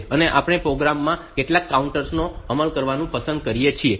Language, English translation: Gujarati, And we like to implement some counters in the programs